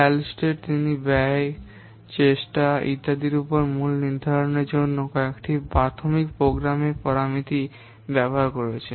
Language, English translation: Bengali, Hullstead we have used a few primitive program parameters in order to estimate effort cost etc